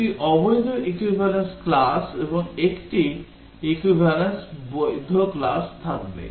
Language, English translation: Bengali, There will be two invalid equivalence class and one in one valid equivalence class